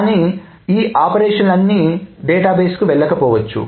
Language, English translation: Telugu, Not all of them may have actually gone to the database